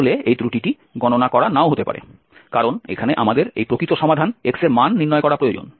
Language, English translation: Bengali, So this may not be used actually this error may not be computed because here we need this actual solution x